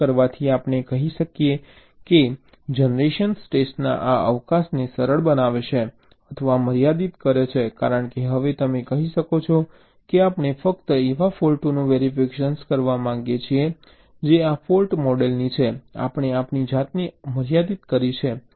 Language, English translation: Gujarati, by doing this we can say, simplifies or limit this scope of test generation, because now you can say that want to test only faults that belong to this fault model